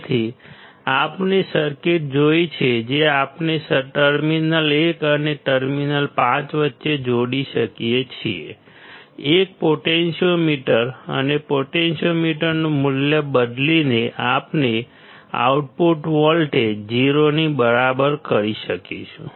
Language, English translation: Gujarati, So, we have seen the circuit that we can connect between terminal 1 and terminal 5; a potentiometer and by changing the value of the potentiometer, we will be able to make the output voltage equal to 0